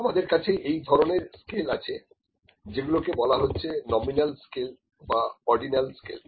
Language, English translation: Bengali, Now, this is the kind of scales nominal scale, ordinal scale